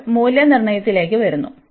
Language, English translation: Malayalam, Now, coming to the evaluation